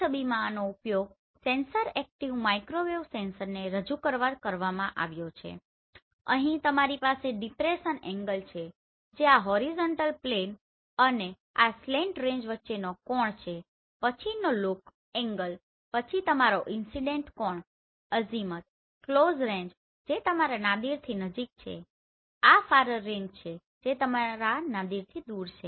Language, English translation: Gujarati, In this image this has been used to represent a sensor active microwave sensor and here you have depression angle which is the angle between this horizontal plane and this slant range then look angle then your incident angle, azimuth, near range which is close to your Nadir, this is far range which is far from your Nadir